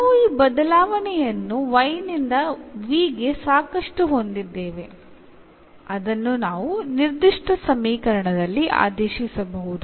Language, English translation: Kannada, So, we have this change enough from y to v which we can substitute in the given equation